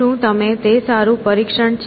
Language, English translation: Gujarati, Is it a good test